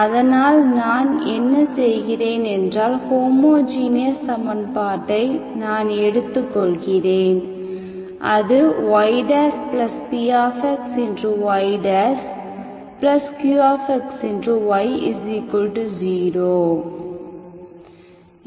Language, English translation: Tamil, So what I do is, I will have, I will consider the homogeneous equation, okay, y dash plus qxy equal to 0